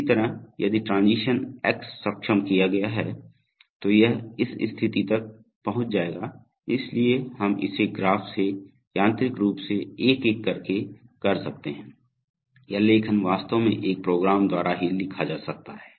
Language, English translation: Hindi, Similarly, we will say that if transition X has been enabled then it will reach this state, so we can do it from the graph mechanically just one by one, this writing can be actually written by a program itself